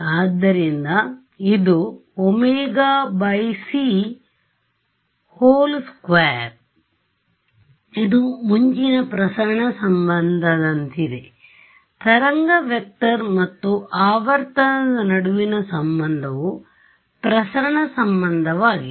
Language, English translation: Kannada, Earlier, what was our is this is like a dispersion relation, a relation between wave vector and frequency is dispersion relation